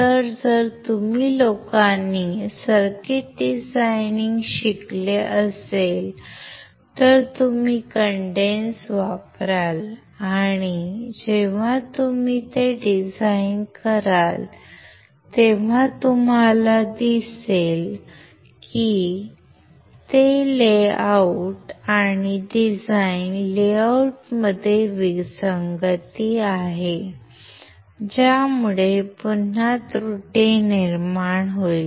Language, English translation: Marathi, So, if you guys have learnt circuit designing, you will use cadence , and then you when you design it you will see the there is a mismatch in the layout and design layout, which will again lead to an error